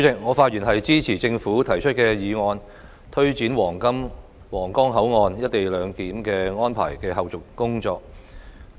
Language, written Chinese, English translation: Cantonese, 我發言支持政府提出有關推展皇崗口岸「一地兩檢」安排的後續工作的議案。, I speak in support of the motion proposed by the Government on taking forward the follow - up tasks of implementing co - location arrangement at the Huanggang Port